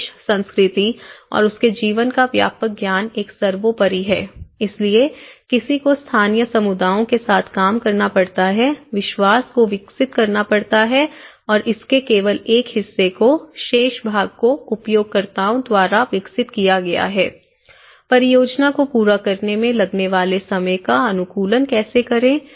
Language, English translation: Hindi, And extensive knowledge of the country, culture and its life is a paramount, so one has to work with the local communities the trust has to be developed and only a part of it has been developed in the remaining part has been developed by the users and how to optimize the time taken to carry out the project